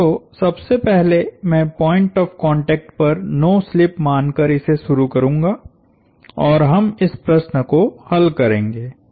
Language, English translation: Hindi, So, I will first write, I will start by assume no slip at point of contact and we will solve this problem